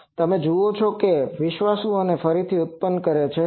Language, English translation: Gujarati, So, you see that faithful it is reproducing this